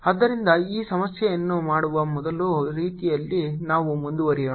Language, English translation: Kannada, so let us proceed in this first way of doing this problem